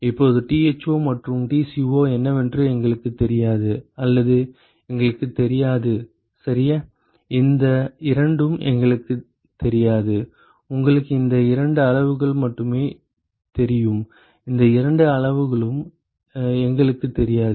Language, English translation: Tamil, Now, we do not know what are the Tho and Tco or not know ok, we do not know these two you only know these two quantities we do not know these two quantities